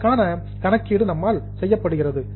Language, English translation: Tamil, The calculation is done by us